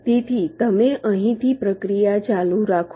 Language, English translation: Gujarati, so you continue the process from here